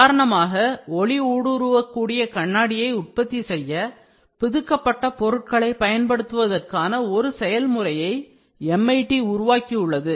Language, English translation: Tamil, For example, MIT developed a process for using extruded materials to produce optical transparent glass